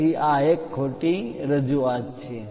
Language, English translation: Gujarati, So, this is a wrong representation